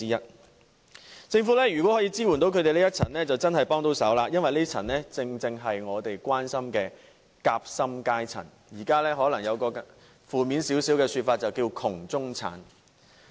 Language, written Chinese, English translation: Cantonese, 如果政府可以支援這群人士，就真的可以幫上忙了，因為他們正正是我們所關心的夾心階層，而較負面的說法，就是"窮中產"。, It will greatly help relieve the burden borne by people belonging to this income group indeed if the Government can provide support to them because they are the sandwich class people that we really care about . Actually the term sandwich class carries a negative connotation of poor middle class